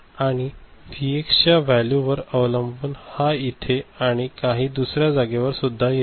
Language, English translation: Marathi, And depending on this Vx value so, it will come here or here or you know in some other place